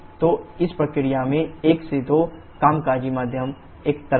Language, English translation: Hindi, So, in this process 1 2, the working medium is a liquid